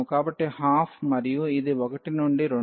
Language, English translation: Telugu, So, 1 by 2 and this 1 to 2